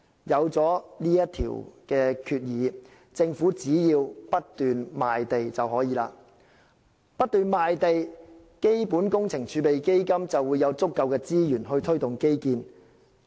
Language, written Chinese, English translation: Cantonese, 有了上述決議，政府只要不斷賣地便可以。不斷賣地，基本工程儲備基金就會有足夠資源去推動基建。, With the aforesaid resolution as long as the Government continues to sell land the Fund will have sufficient resources to implement infrastructure projects